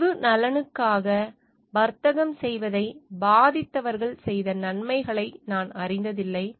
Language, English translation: Tamil, I have never known much good done by those who affected to trade for public good